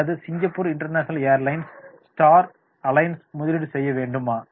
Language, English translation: Tamil, Or should Singapore international airlines stay in the Star Alliance